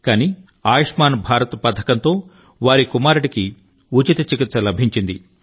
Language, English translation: Telugu, But due to the 'Ayushman Bharat' scheme now, their son received free treatment